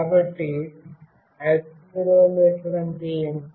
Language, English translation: Telugu, So, what is an accelerometer